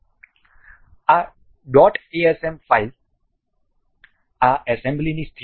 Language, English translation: Gujarati, This dot asm file is the state of this assembly